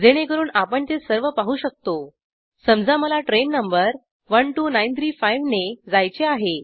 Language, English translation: Marathi, So that we can see all of them, Suppose i want to go by this train number12935